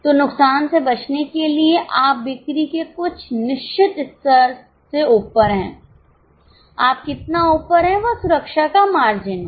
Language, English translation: Hindi, So to avoid losses you are above certain level of sales, how much you are above is the margin of safety